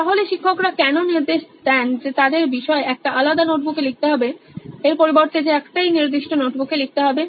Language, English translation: Bengali, So why do teachers mandate that their subject should be written in a separate notebook rather than in one particular notebook